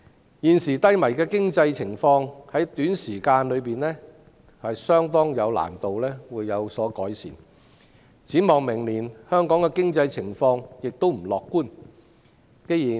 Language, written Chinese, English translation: Cantonese, 香港現時低迷的經濟情況，在短時期固然難有改善，展望明年，經濟情況亦不樂觀。, Hong Kong is now experiencing an economic downturn which can hardly be improved within a short period . The economic outlook for next year is not optimistic either